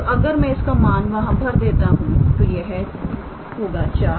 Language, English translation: Hindi, So, if I substitute there then this will be 4